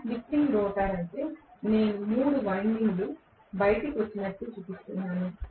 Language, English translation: Telugu, If it is slip ring rotor I will show it like this as though 3 windings come out that is it